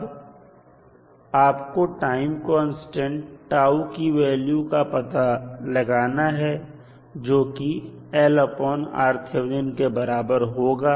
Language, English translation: Hindi, Now, you need to find the value of time constant tau which will be value of l